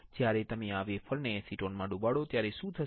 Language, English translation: Gujarati, When you dip this wafer in acetone, what will happen